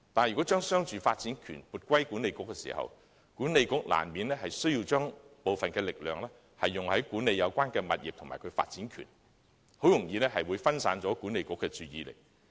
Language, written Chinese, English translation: Cantonese, 然而，將商住發展權撥歸西九管理局後，西九管理局難免需要將部分力量用於管理有關物業及其發展權，很容易會分散了其注意力。, Nevertheless after being granted the commercialresidential development rights WKCDA inevitably needs to make some effort in managing the relevant properties and their development rights . As a result its attention will be diverted very easily